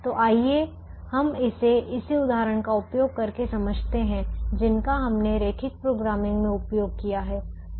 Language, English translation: Hindi, so let us explain this by using the same example that we have used in linear programming